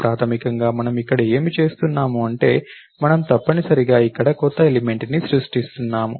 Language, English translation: Telugu, So, basically what is that we are doing here, we are essentially creating a new element over here